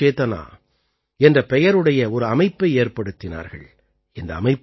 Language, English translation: Tamil, He created a platform by the name of 'Kala Chetna'